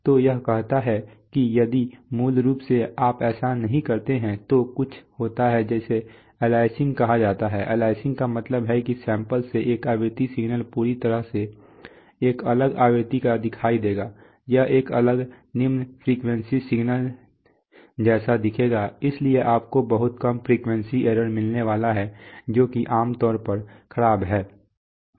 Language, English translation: Hindi, So this says that, so basically if you do not do that, what there is, then something happens called aliasing, aliasing means that one frequency signal will appear from the samples to be of completely a different frequency, it will appear as a different lower frequency signal, so you are going to get a lot of low frequency error which is, which is bad generally